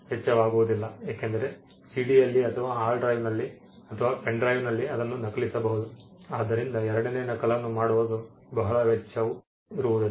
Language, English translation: Kannada, Next to nothing, you can just copy it whatever is there in a CD onto a hard drive or to a pen drive if it has the capacity to do it, so the cost of making the second copy is next to nothing